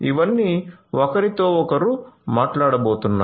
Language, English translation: Telugu, So, all of these are going to talk to each other